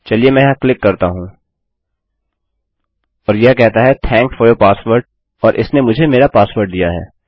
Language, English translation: Hindi, Let me click here and it says thanks for your password